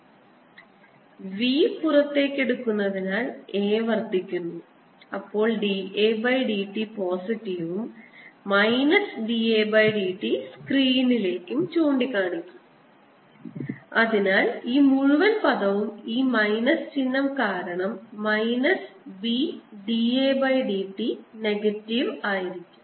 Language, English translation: Malayalam, a area is increasing d a by d t is positive and minus d a by d t is pointing into the screen and therefore this entire product minus b d a by d t is negative because of this minus sign here